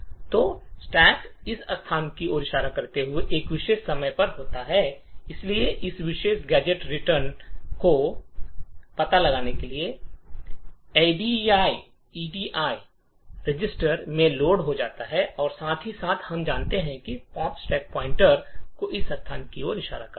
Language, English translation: Hindi, So the stack is at this particular time pointing to this location and therefore the address of this particular gadget return is loaded into the edi register and at the same time as we know the pop would increment the stack pointer to be pointing to this location